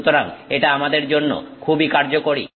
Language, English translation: Bengali, So, this is very useful for us